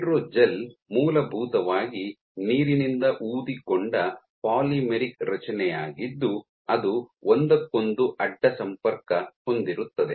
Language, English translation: Kannada, So, hydrogel is essentially a water swollen polymeric structure cross linked together